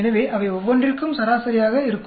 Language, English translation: Tamil, So there is going to be an average for each one of them